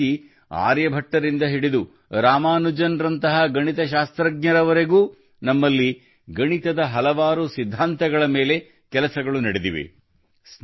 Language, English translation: Kannada, Similarly, from mathematicians Aryabhatta to Ramanujan, there has been work on many principles of mathematics here